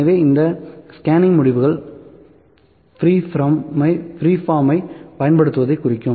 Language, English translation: Tamil, So, these scanning results are representing using free form